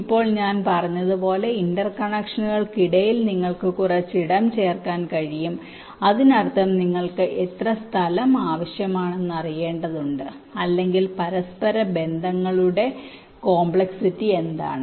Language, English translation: Malayalam, in addition, as i said, you can also add some space in between for interconnections, which means you need to know how much space is required or what is the complexity of the interconnections, right